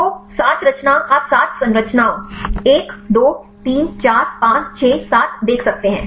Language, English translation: Hindi, So, 7 conformation you can see the seven structures 1, 2, 3, 4, 5, 6, 7